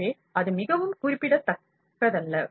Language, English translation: Tamil, So, that is not very significant